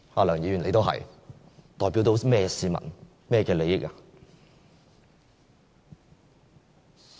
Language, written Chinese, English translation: Cantonese, 梁議員，你也是，你代表甚麼市民、甚麼利益呢？, What people do you represent and what interests do you represent as well?